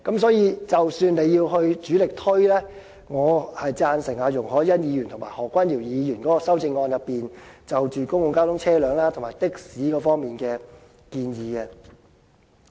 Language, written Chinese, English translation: Cantonese, 所以，即使要主力推廣，我贊成容海恩議員及何君堯議員的修正案所述，有關公共交通車輛及的士方面的建議。, Hence in respect of the focus of the promotion work I concur with the amendments moved by Ms YUNG Hoi - yan and Dr Junius HO regarding their proposals on public transport and taxis